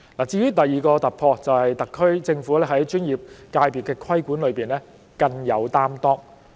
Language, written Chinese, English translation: Cantonese, 至於第二個突破，就是特區政府在專業界別的規管方面更有擔當。, As for the second breakthrough the SAR Government has taken up a greater responsibility over the regulation of the professional sectors